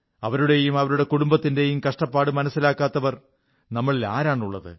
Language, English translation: Malayalam, Who amongst us cannot understand and feel what they and their families are going through